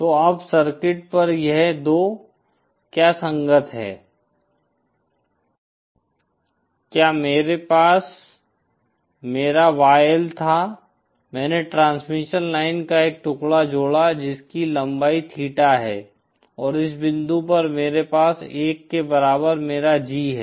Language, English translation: Hindi, So now on the circuit what this corresponds is 2 is I had my YL, I added a piece of transmission line whose length is theta and at this point I have my G in equal to 1